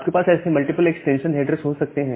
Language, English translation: Hindi, So, you have multiple, you can have multiple such extension header